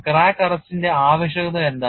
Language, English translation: Malayalam, What is the need for crack arrest